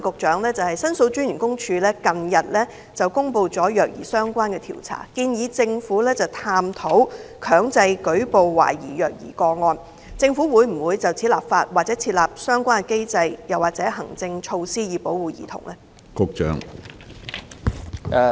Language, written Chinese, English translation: Cantonese, 主席，申訴專員公署近日公布與虐兒相關的調查報告，建議政府探討強制舉報懷疑虐兒個案，我想問局長政府會否就此立法、設立相關機制或行政措施，以保護兒童？, President in its report published recently on the issue of child abuse the Office of The Ombudsman made a recommendation to the Government that it should explore the feasibility of mandatory reporting of suspected child abuse cases . I would like to ask the Secretary Will the Government enact legislation for this purpose and put in place a relevant mechanism or administrative measures for the protection of children?